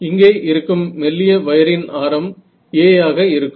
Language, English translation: Tamil, So, thin wire over here with radius to be a, alright